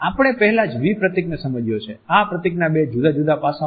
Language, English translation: Gujarati, We have looked at the V symbol already; the two different aspects of this symbol